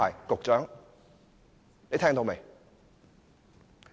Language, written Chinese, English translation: Cantonese, 局長，你聽到沒有？, Do you hear that Secretary?